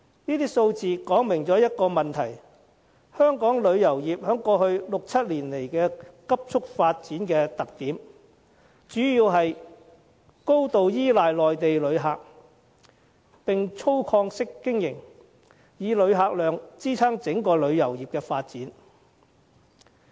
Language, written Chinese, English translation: Cantonese, 這些數字說明一個問題，就是香港旅遊業在過去六七年來的急速發展，主要是高度依賴內地旅客，並粗放式經營，以旅客量支撐整個旅遊業的發展。, These ratios show that the rapid development of the tourism industry of Hong Kong in the past six or seven years is mainly attributed to a heavy reliance on Mainland visitors and an extensive operational mode and the development of the entire industry is underpinned by a large number of visitors